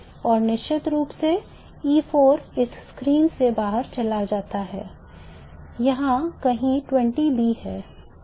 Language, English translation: Hindi, And of course E4 goes out of the screen here is 20B somewhere